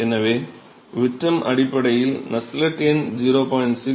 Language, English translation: Tamil, So, the Nusselt number based on the diameter is given by 0